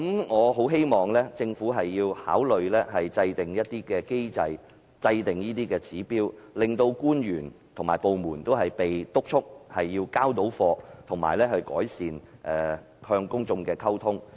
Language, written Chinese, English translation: Cantonese, 我很希望政府考慮制訂一些機制和指標，督促官員和部門"交貨"，並改善與公眾的溝通。, I very much hope that the Government will consider formulating some mechanisms and indicators to urge public officers and departments to deliver results and improve communication with the public